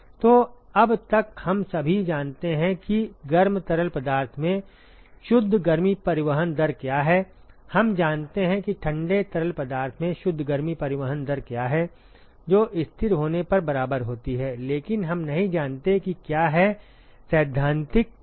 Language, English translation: Hindi, So, far all we know is what is the net heat transport rate in the hot fluid, we know what is the net heat transport rate in the cold fluid, which is equal when it is a steady state, but we do not know what is the theoretical maximum possible